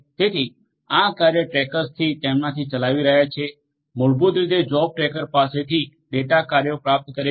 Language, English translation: Gujarati, So, this task trackers are running on them, receiving the data receiving the tasks basically from the job tracker